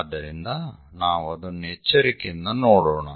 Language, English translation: Kannada, So, let us look at it carefully